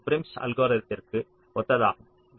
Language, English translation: Tamil, that is prims algorithm